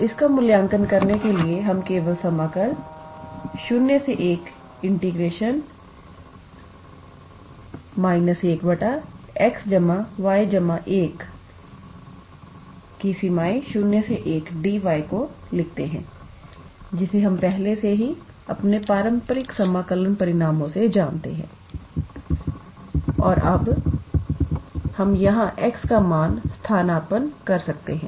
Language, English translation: Hindi, And in order to evaluate that, we simply write integral from 0 to 1 d y and then this will be integral from 0 to 1, this will be one by x plus y plus 1, which we already know from our traditional integral calculus results, And now, we can substitute the value of x here